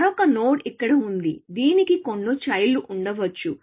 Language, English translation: Telugu, Another node is here, which may have some child and so on